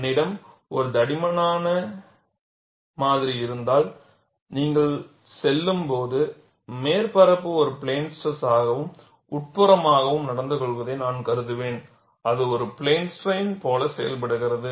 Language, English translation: Tamil, If I have a thick specimen, I will consider the surface to behave like a plane stress and interior when you go, it behaves like a plane strain